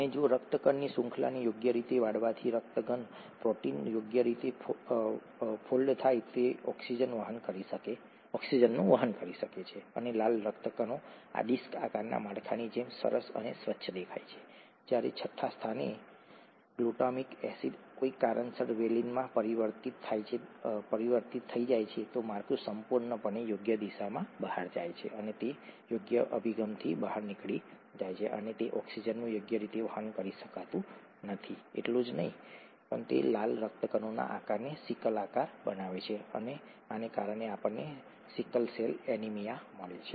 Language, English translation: Gujarati, And if the appropriate folding of the haemoglobin chain leads to the haemoglobin protein when it folds properly, then it is able to carry oxygen and the red blood cells looks nice and clean like this disc shaped structure, whereas if in the sixth position the glutamic acid gets changed to valine for some reason, then the structure entirely goes out of proper orientation and it is no longer able to carry oxygen properly, not just that it makes the shape of the red blood cells sickle shaped, and we get sickle cell anaemia because of this